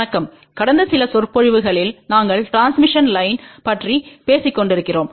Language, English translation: Tamil, Hello, in the last few lectures we have been talking about transmission line